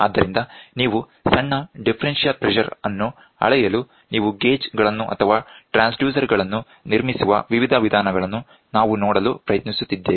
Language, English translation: Kannada, So, we are trying to see various ways where in which you can build up gauges or transducers such that you can measure small differential pressure